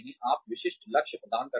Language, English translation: Hindi, You assign specific goals